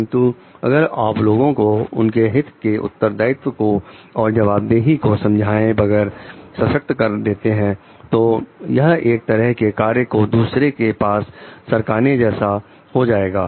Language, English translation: Hindi, But, if you are empowering people without making them understand their part of responsibility and accountability it may be a way of passing on the work